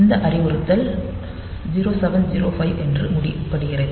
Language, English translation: Tamil, So, that is this instruction ends as 0 7 0 5